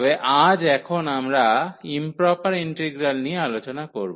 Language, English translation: Bengali, But, now we will discuss today what are the improper integrals